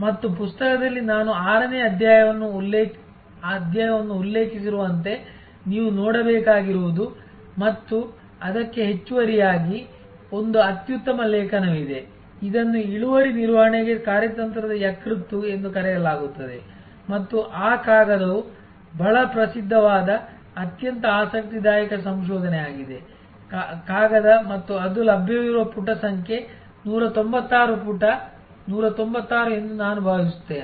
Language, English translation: Kannada, And in the book as I have mentioned chapter number 6 is what you have to look at and in addition to that there is an excellent article I think it is called a strategic livers for yield management and that paper it is a very famous very interesting research paper and I think is it is available page number 196 page 196